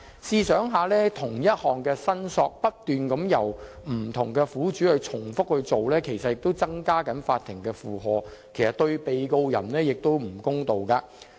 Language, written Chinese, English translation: Cantonese, 試想一想，不同苦主不斷重複就同一事項進行相同申索，其實也增加了法庭的負荷，對被告人亦有欠公道。, We can imagine that if different victims separately file identical claims regarding one single matter the Courts burden will increase and this is not fair to the defendant either